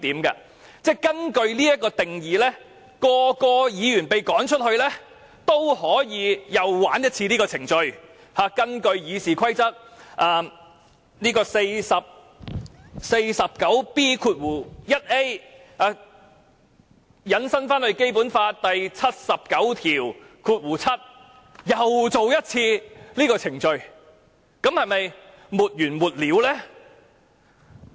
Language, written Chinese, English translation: Cantonese, 如果根據這定義，每位議員被趕走後，其他人也可以啟動程序，引用《議事規則》第 49B 條，再引申至《基本法》第七十九條第七項，然後再進行一次這程序，那會否沒完沒了呢？, Following this definition every time after a Member is ordered to leave the other people may initiate the procedure . They may invoke RoP 49B1A extend it to Article 797 of the Basic Law and then conduct this procedure again . Will it ever end?